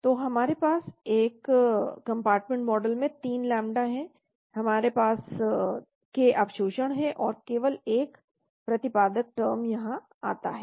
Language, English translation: Hindi, So we have 3 lambdas in a one compartment model, we have k absorption and only one exponent term come here